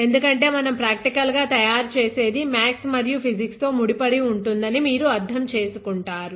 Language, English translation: Telugu, Because then you will understand that whatever we make practically is inherently tied to a lot of mathematics and physics which is very wonderful